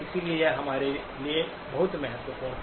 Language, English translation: Hindi, So this is very important for us